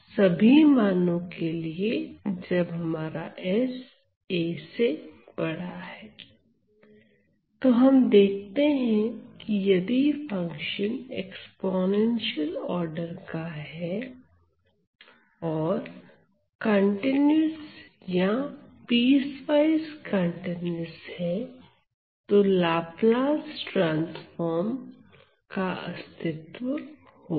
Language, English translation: Hindi, So, we see that if the function is of exponential order it is continuous or piecewise continuous then the Laplace transform exists